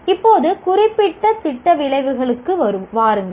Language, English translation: Tamil, Now come to program specific outcomes